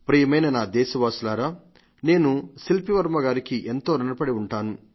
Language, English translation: Telugu, My dear countrymen, I have received a message from Shilpi Varma, to whom I am grateful